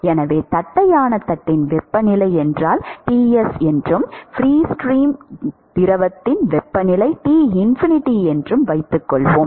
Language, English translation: Tamil, So, supposing if the temperature of the flat plate is, let us say Ts and the temperature of the free stream fluid is Tinfinity, now there is going to be a boundary layer